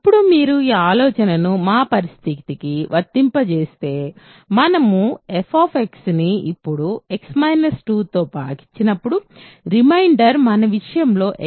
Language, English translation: Telugu, So, now if you apply this idea to our situation in our case, the reminder when we divide f x by x minus 2 now, in our case x minus 2 is f of 2 right